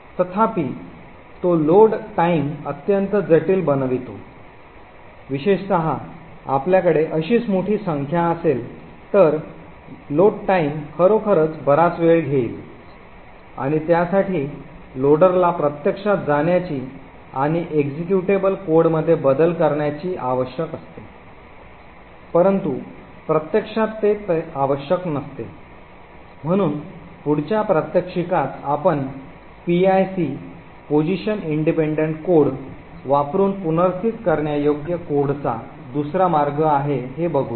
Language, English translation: Marathi, However, it makes a load time extremely complex, especially if you have a large number of such variables then the load time would actually be take quite long and also it requires the loader to actually go and modify executable code which is not what is actually required, so in the next demonstration what we will actually look at is another way of relocatable code using PIC a position independent code